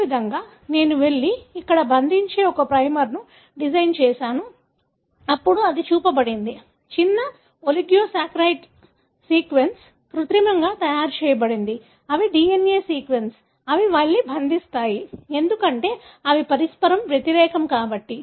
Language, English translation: Telugu, Likewise, I design a primer that goes and binds here and then that’s what is shown know, short oligonucleotide sequence that are synthetically made, they are DNA sequence, they go and bind, because they have the complimentarity